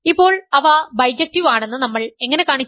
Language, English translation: Malayalam, Now, how do we show, that they are bijective